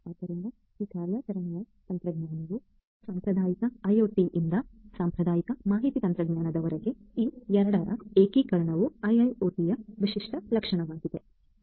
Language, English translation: Kannada, So, this operational technology along with the traditional information technology from the traditional IoT, the integration of both of these is the distinguishing characteristic of IIoT